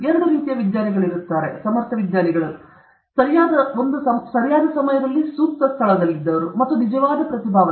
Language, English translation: Kannada, There are two types of scientists: competent scientists those who were in the right place at the right time, and true genius